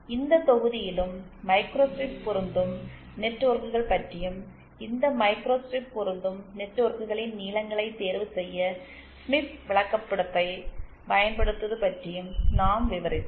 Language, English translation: Tamil, And also in this module, we have covered about microstrip matching networks and how to use the Smith chart to opt in the lengths of these microstrip matching networks